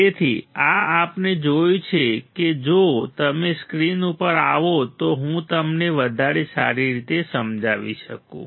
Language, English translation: Gujarati, So, this what we have seen if you if you come to the screen I can explain you in better way